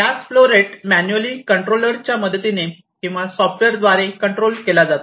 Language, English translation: Marathi, So, the flow rate of this gases you can controlled either manually or through software